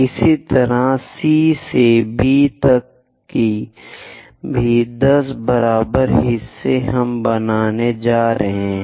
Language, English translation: Hindi, Similarly, from C to B also 10 equal parts we are going to construct